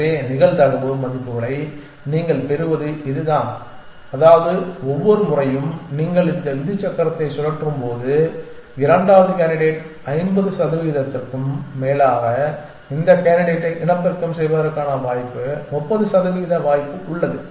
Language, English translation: Tamil, So, that is how you get the probability values which means that every time you spin this rule wheel the second candidate has above 50 percent chance of being reproduce this candidate has about 30 percent chance